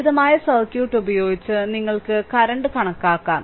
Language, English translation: Malayalam, Using the simple circuit, you can calculate the current